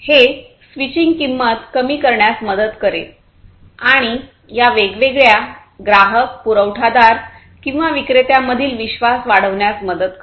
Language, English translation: Marathi, This basically will help in reducing the switching cost, and also improving building the trust between these different customers and the suppliers or the vendors